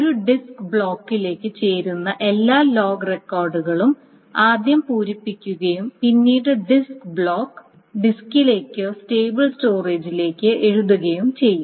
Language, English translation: Malayalam, So all the wrong records that fit into one disk block is first filled up and then the disk block is written back to the disk or the stable storage